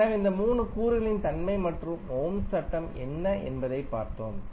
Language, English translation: Tamil, So, we also saw that the property of these 3 elements and also saw what is the Ohms law